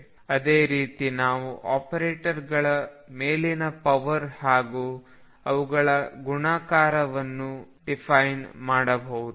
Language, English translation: Kannada, And similarly we can define higher powers of these operators and also their own multiplication